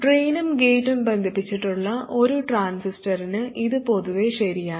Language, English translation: Malayalam, This is in general true for a transistor whose drain and gate are connected